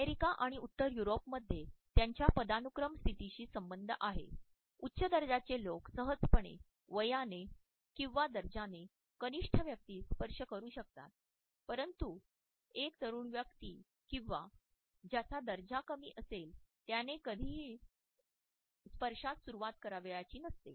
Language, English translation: Marathi, In the USA and in Northern Europe touch also has a lot to do with his status and this status related hierarchies, people who are older or of higher status can comfortably touch a person who is younger or lower in status, but a younger person or a person who is lower in status would never initiate this touch